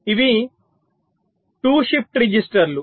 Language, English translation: Telugu, this is the shift register